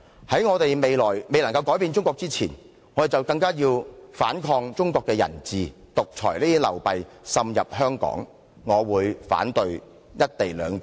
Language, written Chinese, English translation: Cantonese, "在我們未有能力改變中國之前，我們便須反抗中國的人治，制止獨裁的流弊滲入香港，因此，我會反對《條例草案》。, We have to resist Chinas rule of men before we have the ability to change our Motherland . By doing so we can help stop all the disadvantages of autocratic rule from spreading over to Hong Kong . Thus I will oppose the Bill